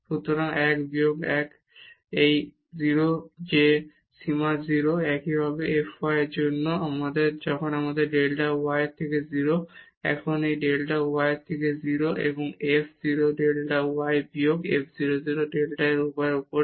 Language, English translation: Bengali, So, 1 minus 1 this is 0 that limit is 0, similarly for f y when we have delta y to 0; now this is delta y to 0 and f 0 delta y minus f 0 0 over delta y